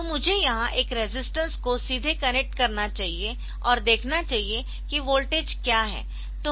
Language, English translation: Hindi, So, ideally I should connect directly a resistance here and see what is the voltage